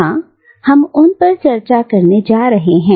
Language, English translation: Hindi, Yes, we are going to discuss them